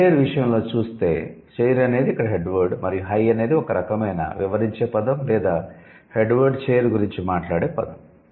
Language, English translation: Telugu, In case of high chair, it's mainly the chair which is the head word and high is the word which is explaining or which is qualifying the head word chair